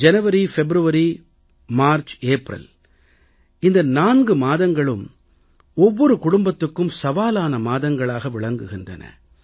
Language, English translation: Tamil, January, February, March, April all these are for every family, months of most severe test